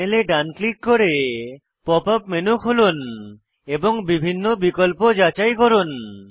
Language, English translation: Bengali, Right click on the panel to open the Pop up menu and check the various options